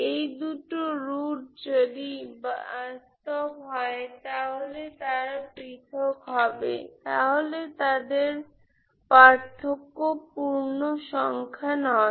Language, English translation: Bengali, Those two roots if they are real, if they are distinct, the difference is non integer